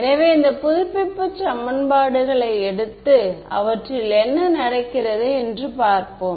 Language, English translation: Tamil, So, let us take let us take these update equations and see what happens to them ok